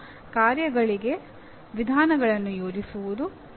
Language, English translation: Kannada, One is planning approaches to tasks